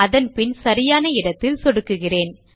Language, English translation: Tamil, I will then click at the correct position